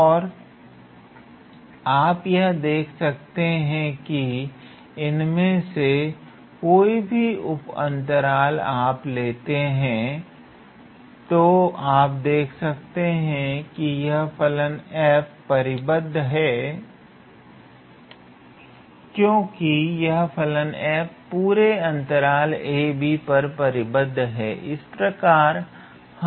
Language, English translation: Hindi, And if you consider any one of these sub intervals, you can see right away that this function f is bounded, it is mainly because of the fact that the function f is bounded on the whole interval a, b